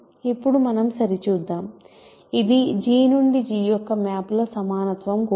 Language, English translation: Telugu, So, let us check now so, this is also an equality of maps of G to G